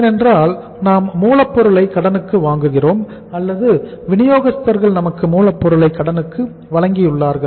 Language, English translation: Tamil, Because we buy raw material on credit or we have supplied the raw material on credit by suppliers